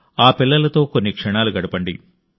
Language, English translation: Telugu, And spend some moments with those children